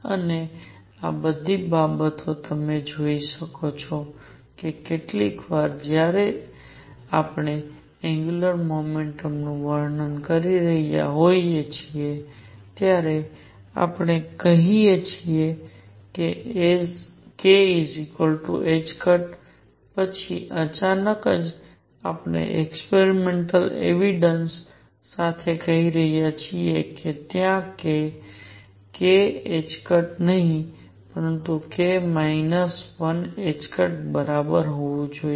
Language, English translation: Gujarati, And all these things you can see that sometimes when we are describing angular momentum we are saying k equals h cross then suddenly we are saying with experimental evidence, there should be not k h cross, but k minus 1 h cross right